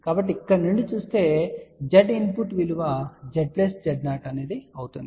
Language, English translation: Telugu, So, looking from here Z input will be Z plus Z 0